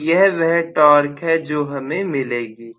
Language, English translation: Hindi, So, this is going to be the torque that we get, right